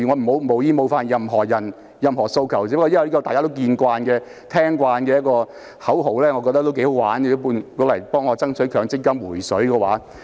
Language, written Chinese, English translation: Cantonese, 我無意冒犯任何人或任何訴求，只是覺得這些大家耳熟能詳的口號頗有趣，可以讓我用來爭取強積金"回水"。, I do not mean to offend anyone or show no respect for any demand . I only find those slogans familiar to all interesting which may be used to fight for withdrawal of MPF savings